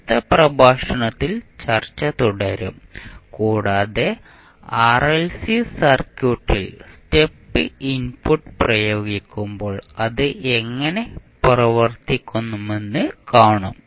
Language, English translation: Malayalam, We will continue our discussion in the next lecture and we will see when we apply step input to the RLC circuit how it will behave